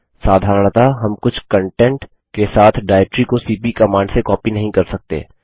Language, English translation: Hindi, Normally we cannot copy a directory having a some content directly with cp command